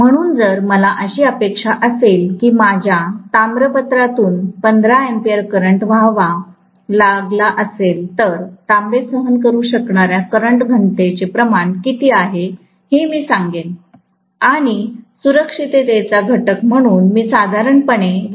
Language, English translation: Marathi, So, if I expect that 15 amperes of current has to flow through my copper coil, I would say what is the amount of current density the copper can withstand, and I will put generally 1